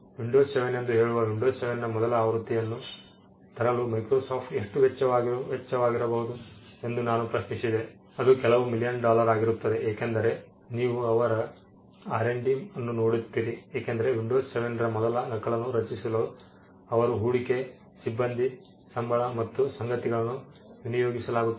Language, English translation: Kannada, Now I asked this question how much does it cost Microsoft to come up with a first copy of windows say windows 7, it will be a few million dollars because you look at their R&D their investment their staff salaries a whole lot of things would have gone into creating the first copy of windows 7